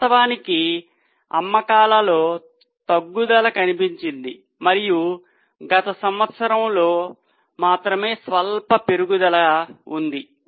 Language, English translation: Telugu, In fact there was a decrease in the sales and only in the last year there is a slight rise